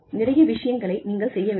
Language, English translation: Tamil, You are required to do, a lot of things